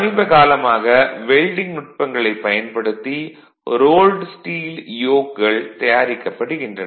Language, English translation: Tamil, So, lately rolled steel yokes have been developed with the your improvements in the welding techniques